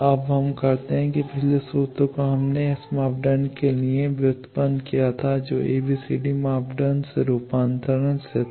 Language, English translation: Hindi, Now, for let us do that the previous formula we derived for the S parameter that was from conversion from ABCD parameter